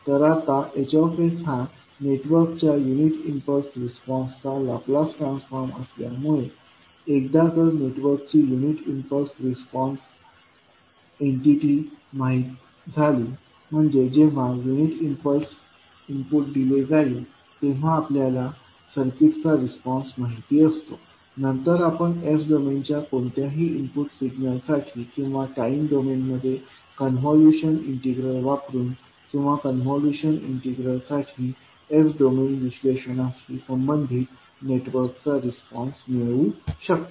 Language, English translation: Marathi, Now, as H s is the Laplace transform of the unit impulse response of the network, once the impulse response entity of the network is known, that means that we know the response of the circuit when a unit impulse input is provided, then we can obtain the response of the network to any input signal in s domain using convolution integral in time domain or corresponding the s domain analysis for convolution integral